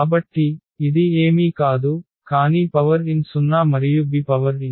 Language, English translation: Telugu, So, this will be nothing, but the a power n zero and b power n